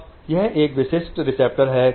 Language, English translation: Hindi, This is a typical receptor